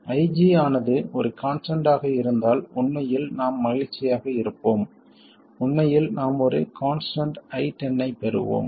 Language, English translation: Tamil, We were actually we would be happy if IG were just a constant, in fact we get a constant and 0